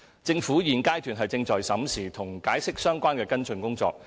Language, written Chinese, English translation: Cantonese, 政府現階段正在審視與《解釋》相關的跟進工作。, The Government is examining the follow - up work in connection with the Interpretation